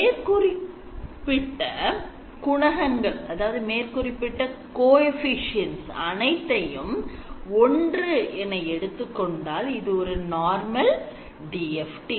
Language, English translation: Tamil, If you set all the window coefficients to be equal to 1 then you get your normal DFT